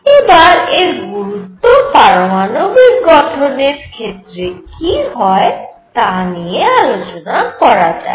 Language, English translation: Bengali, Let us see what are its is implications for our atomic structure